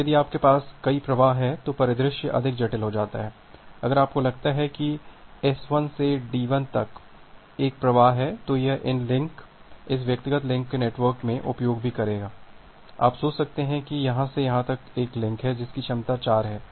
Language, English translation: Hindi, Now, the scenario get more complicated if you have multiple flows, if you think of that there is another flow from this S 1 to D 1, that will also use these links this individual links in the network, you can think of that there is a link from here to here with the capacity of 4